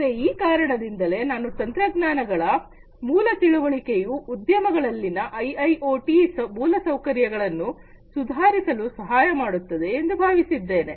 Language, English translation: Kannada, So, that is the reason why I thought that a basic understanding about these technologies can help in improving the IIoT infrastructure in the industries